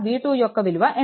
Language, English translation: Telugu, V 1 is equal to how much